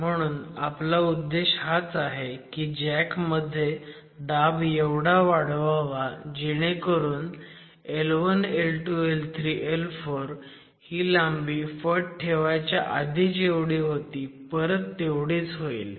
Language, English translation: Marathi, So, at some point the pressure that the flat jack is at is adequate for the gauge length L1, L2, L3 and L4 to be equal to what it was before the cutter